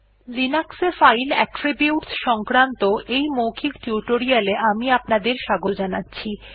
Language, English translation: Bengali, Welcome to this spoken tutorial on Linux File Attributes